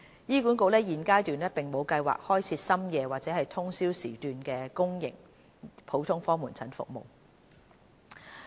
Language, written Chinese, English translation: Cantonese, 醫管局現階段並無計劃開設深夜或通宵時段的公營普通科門診服務。, At this point HA has no plans to provide GOP services at late hours or overnight GOP services